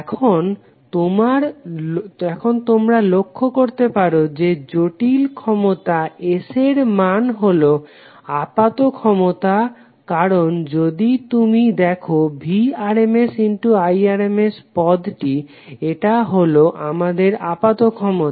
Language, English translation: Bengali, Now you can notice that the magnitude of complex power S is apparent power because if you see this term Vrms into Irms this is our apparent power